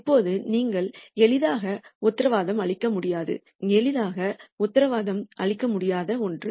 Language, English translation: Tamil, Now, that is something that is you cannot guarantee easily